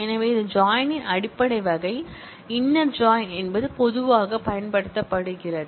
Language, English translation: Tamil, So, this is the basic type of join, inner join which is most commonly used